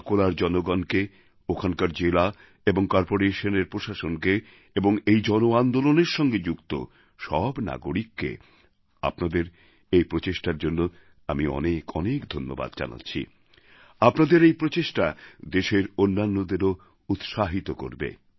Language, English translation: Bengali, I congratulate the people of Akola, the district and the municipal corporation's administration, all the citizens who were associated with this mass movement, I laud your efforts which are not only very much appreciated but this will inspire the other citizens of the country